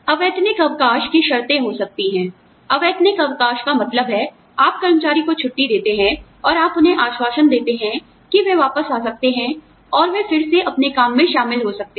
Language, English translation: Hindi, Unpaid leave, the conditions for unpaid leave could be, unpaid leave means, you give the employee leave, and you give them an assurance that, they can come back, and they can join their work, again